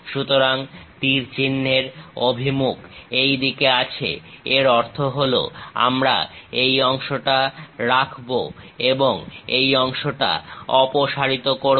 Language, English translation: Bengali, So, arrow direction is in this way; that means this part we will keep it and this part we will remove it